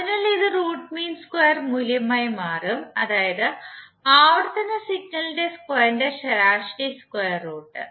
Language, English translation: Malayalam, So this will become the root mean square value that means the square root of the mean of the square of the periodic signal